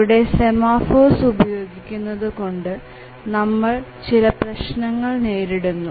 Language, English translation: Malayalam, Here using a semaphore will lead to some problems